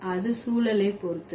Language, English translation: Tamil, It depends on the context